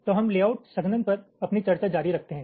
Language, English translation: Hindi, so we continue with our discussion on layout compaction